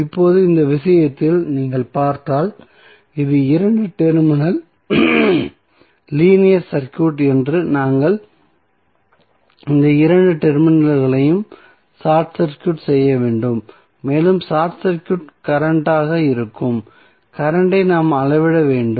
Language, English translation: Tamil, So, now if you see in this case if this is a two terminal linear circuit we have to short circuit these two terminals and we have to measure the current that is short circuit current